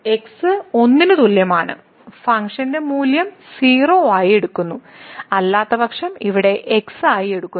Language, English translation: Malayalam, So, at is equal to 1 the function is taking value as 0 and otherwise its taking here as